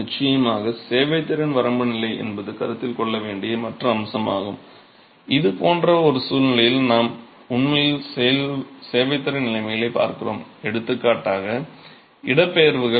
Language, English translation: Tamil, Of course, the serviceability limit state is the other aspect that needs to be considered and in this sort of a situation what we are really looking at at serviceability conditions is displacements for example